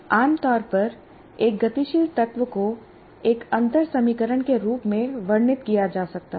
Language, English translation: Hindi, And normally a dynamic element can be described as a differential equation